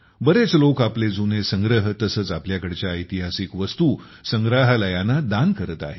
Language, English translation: Marathi, Many people are donating their old collections, as well as historical artefacts, to museums